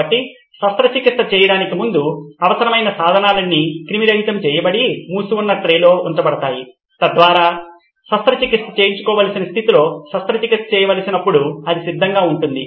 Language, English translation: Telugu, So before the surgery is performed all of this, the instruments needed are all sterilized and kept on a sealed tray so that it’s ready when the surgery has to be performed in the state that the surgeon wants it to be